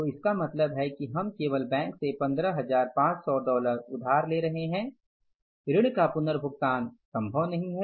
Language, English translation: Hindi, So it means we are only borrowing from the bank that is worth of $15,500